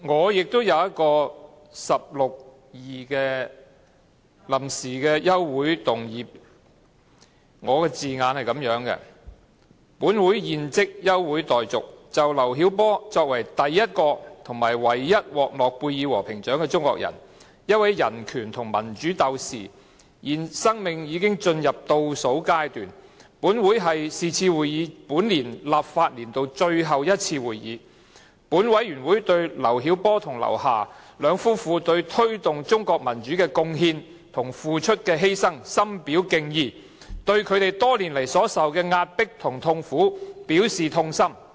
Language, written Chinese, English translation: Cantonese, 我也想根據《議事規則》第162條提出一項臨時的休會議案辯論，我的議案措辭如下："本會現即休會待續，就劉曉波作為第一位和唯一獲諾貝爾和平獎的中國人、一位人權和民主鬥士，現在生命已經進入倒數階段，而是次會議是本會本立法年度的最後一次會議，本會對劉曉波和劉霞兩夫婦就推動中國民主所作出的貢獻和犧牲深表敬意，並對他們多年來所承受的壓迫和痛苦表示痛心。, I also wish to move a motion for adjournment in accordance with RoP 162 and the wording of my motions is as follows That the Council do now adjourn and since LIU Xiaobo is the first and only Chinese awarded the Nobel Peace Prize he is a fighter for human rights and democracy his life is coming to an end and this meeting is the last one in the current legislative session of this Council this Council expresses deep respect for the contributions and sacrifice made by LIU Xiaobo and his wife LIU Xia towards the promotion of democracy in China and expresses grief at the oppression and pains suffered by them over all these years